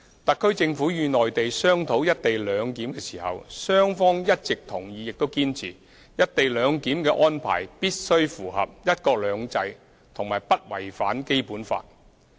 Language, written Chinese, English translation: Cantonese, 特區政府與內地商討"一地兩檢"時，雙方一直同意亦堅持，"一地兩檢"的安排必須符合"一國兩制"和不違反《基本法》。, Throughout the consultations on co - location arrangement between the Government of the Hong Kong Special Administrative Region HKSAR and the Mainland both sides have always agreed and insisted that the co - location arrangement must be consistent with one country two systems and must not contravene the Basic Law